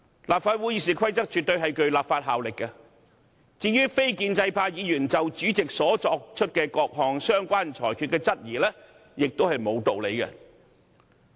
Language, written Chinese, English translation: Cantonese, 立法會《議事規則》絕對具有立法效力，至於非建制派議員就主席所作各項相關裁決的質疑亦沒有道理。, The Rules of Procedure of the Legislative Council absolutely have legislative effect and there is no reason for Members from the non - establishment camp to query the rulings made by the President